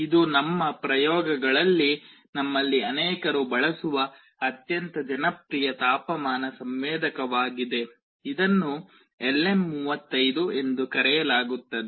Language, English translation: Kannada, This is a very popular temperature sensor that many of us use in our experiments; this is called LM35